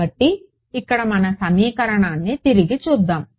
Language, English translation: Telugu, So, let us look back at our equation over here